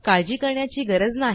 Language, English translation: Marathi, This is nothing to worry about